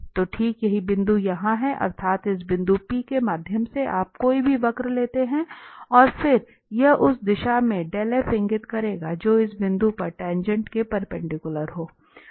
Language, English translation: Hindi, So, and exactly this is the point here that through this point P you take any curve and then this dell f will point in the direction which is perpendicular to the tangent at this point